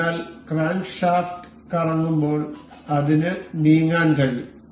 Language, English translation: Malayalam, So, so that it can move as it as the crankshaft rotates